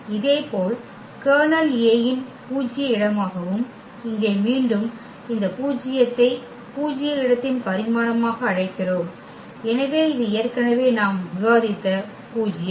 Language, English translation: Tamil, Similarly, the kernel A was null space of A and here again this nullity which we call the dimension of the null space, so that is the nullity which we have discussed already before